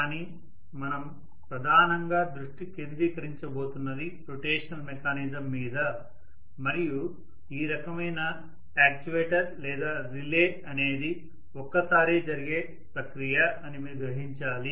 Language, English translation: Telugu, But what we are going to concentrate mainly is on rotational mechanism and you should also realize that this kind of actuator or relay is a onetime process